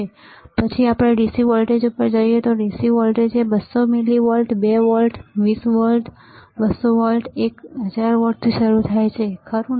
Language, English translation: Gujarati, Then we go to DC voltages, DC voltage starts from 200 millivolts 2 volts 20 volts 200 volts one 1000 volts, right